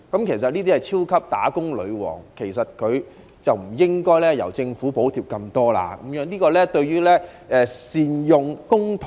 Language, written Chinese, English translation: Cantonese, 這些是超級"打工女王"，政府不應該補貼這麼多，因為這未必是善用公帑。, For these super high - paid female employees the Government should not over - subsidize their employers as this may not be using public money prudently